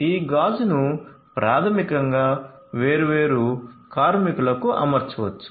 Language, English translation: Telugu, So, this glass could be basically fitted to the different workers